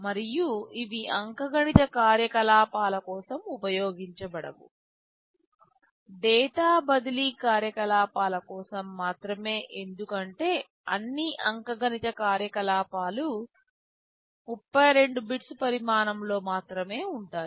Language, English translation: Telugu, And these are not used for arithmetic operations, only for data transfer operations because all arithmetic operations are only 32 bits in size